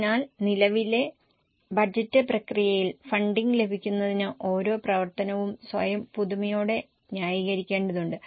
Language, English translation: Malayalam, So, to receive funding in the current budget process, each activity needs to justify itself afresh